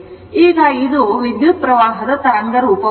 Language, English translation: Kannada, So, this is the current waveform